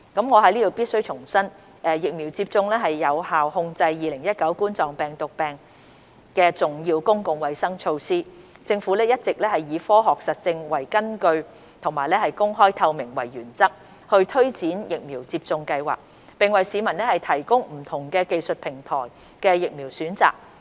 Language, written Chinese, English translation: Cantonese, 我在此必須重申，疫苗接種是有效控制2019冠狀病毒病重要的公共衞生措施，政府一直以科學實證為根據及公開透明為原則推展疫苗接種計劃，並為市民提供不同技術平台的疫苗選擇。, I must reiterate here that vaccination is an important public health measure to control COVID - 19 effectively . The Government has all along been implementing the vaccination programme based on scientific evidence and in adherence to the principles of openness and transparency and providing members of the public with the choice of vaccines from different technology platforms